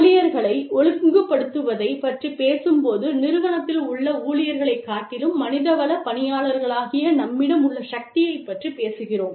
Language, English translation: Tamil, You know, when we talk about disciplining employees, we talk about the power, we have as human resources personnel, over the employees, that are in the organization